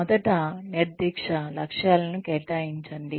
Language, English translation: Telugu, First, assign specific goals